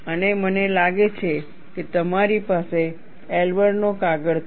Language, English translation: Gujarati, And I think, you have the paper by Elber